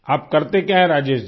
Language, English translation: Hindi, What do you do Rajesh ji